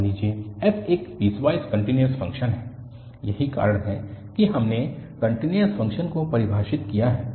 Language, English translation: Hindi, Suppose f is a piecewise continuous function that is a reason we have defined the continuous function